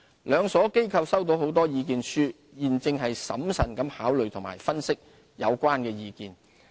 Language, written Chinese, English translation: Cantonese, 兩所機構收到很多意見書，現正審慎地考慮及分析有關意見。, A large number of submissions have been received . SFC and HKEx are considering and analysing the views carefully